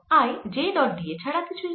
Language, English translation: Bengali, i is nothing but j dot d a